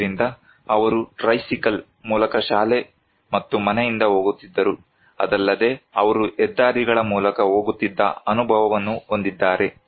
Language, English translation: Kannada, So, what is that he is going and coming from school and home by tricycle, not only that he has the experience that he used to go through highways